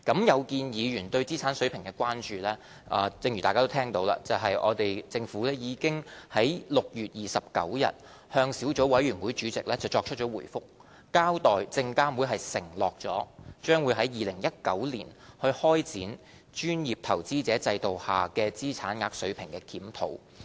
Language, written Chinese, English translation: Cantonese, 有見議員對資產額水平的關注，正如大家已聽到，政府已在6月29日向小組委員會主席作出回覆，交代證監會已承諾將會於2019年開展專業投資者制度下的資產額水平的檢討。, As Members have heard just now according to the Governments reply dated 29 June to Chairman of the Subcommittee on the Amendment Rules in response to members concern SFC has pledged to commence a review of the monetary thresholds under the professional investor PI regime in 2019